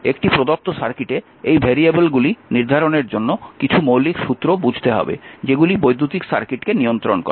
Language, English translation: Bengali, In a given circuit may be or to determine these variables requires that we must understand some fundamental laws that given your that govern electric circuit